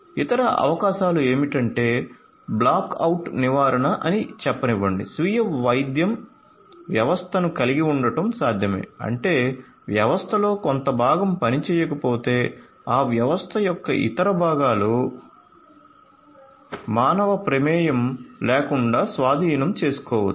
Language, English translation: Telugu, Other possibilities are to have different features of let us say black out prevention, it is possible to have self healing system that means, that if some part of the system goes down there are other parts of the system that can take over without any human intervention so self healing